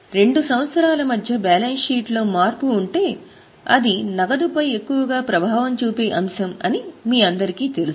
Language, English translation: Telugu, You all know that if there is a change in the balance sheet between the two years, that should be considered as most likely item of impact on cash